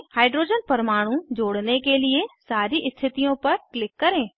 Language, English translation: Hindi, Click on all the positions to add hydrogen atoms